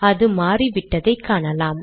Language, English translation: Tamil, You can see that it has changed